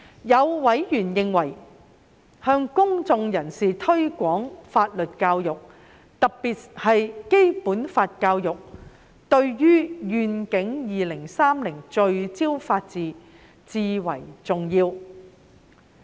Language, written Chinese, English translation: Cantonese, 有委員認為向公眾人士推廣法律教育，特別是《基本法》教育，對於"願景 2030—— 聚焦法治"至為重要。, Some members felt that the promotion of public legal education particularly on the Basic Law was crucial to the Vision 2030 for Rule of Law initiative